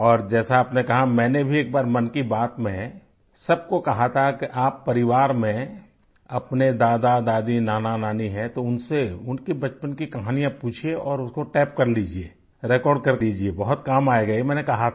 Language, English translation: Hindi, And as you said, once in Mann Ki Baat I too had asked you all that if you have grandfathergrandmother, maternal grandfathergrandmother in your family, ask them of stories of their childhood and tape them, record them, it will be very useful, I had said